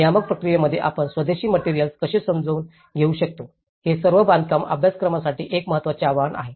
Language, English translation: Marathi, How can we accommodate the indigenous materials in the regulatory process, that is an important challenge for all the building course